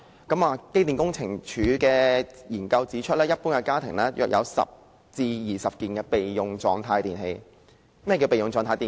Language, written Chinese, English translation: Cantonese, 機電工程署的研究指出，一般家庭約有10至20件處於備用狀態的電器。, According to a study conducted by the Electrical and Mechanical Services Department EMSD there are about 10 to 20 electrical appliances in standby mode in an average home